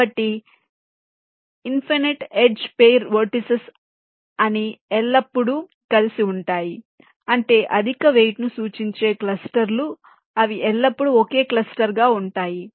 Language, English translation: Telugu, so the infinite edge pair of vertices, they will always remain together, which means those clusters which are representing higher voltage, they will always remain as single clusters